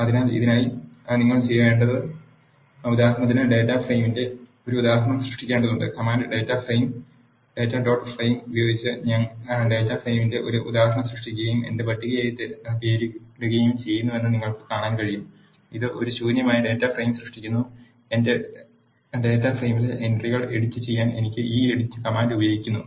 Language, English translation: Malayalam, So, what you need to do for this is you have to create an instance of data frame for example, you can see that I am creating an instance of data frame and naming it as my table by using the command data dot frame, this creates an empty data frame and I can use this edit command to edit the entries in my data frame